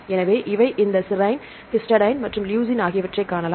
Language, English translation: Tamil, So, we can see this one this serine, this histidine and this leucine